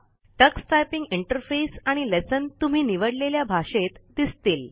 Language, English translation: Marathi, The Tux Typing Interface and lessons will be displayed in the language you select